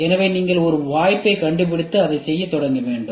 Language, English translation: Tamil, So, you have to find out an opportunity and then start doing it